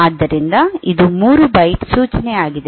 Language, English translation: Kannada, So, this is a 3 byte instruction